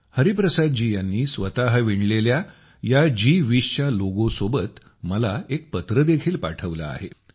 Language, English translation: Marathi, Hariprasad ji has also sent me a letter along with this handwoven G20 logo